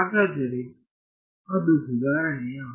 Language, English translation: Kannada, So, is that an improvement